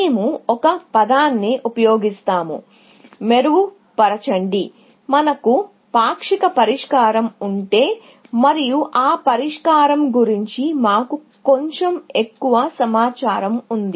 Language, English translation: Telugu, So, we will use a term; refine, to say that if we have a partial solution, and we had a little bit more information about that solution